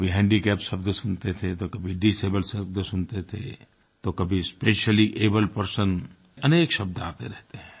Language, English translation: Hindi, At some point we heard handicapped, then it was disabled and somewhere it is speciallyabled, so many terms have been used